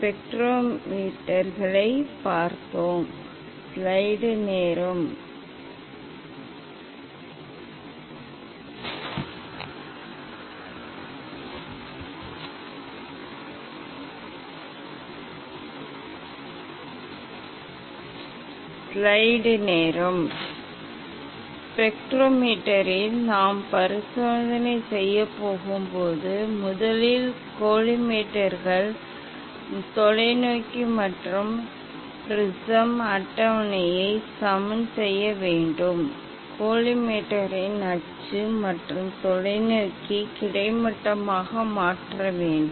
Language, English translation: Tamil, we have seen the spectrometers, When we are going to do experiment in the spectrometer, so first one has to level the collimators, telescope and the prism table, to make the axis of collimator and the telescope horizontal